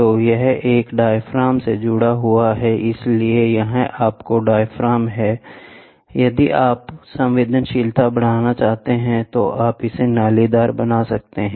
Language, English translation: Hindi, So, this, in turn, is attached to a diaphragm so, this is your diaphragm if you want to increase sensitivity you can make it corrugated